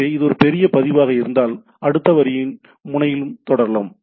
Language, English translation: Tamil, So, it has if it is a large record that continuing on the next line on node and so and so forth